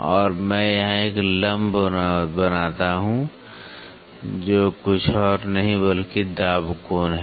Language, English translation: Hindi, And, I draw a perpendicular here which is nothing, but phi pressure angle phi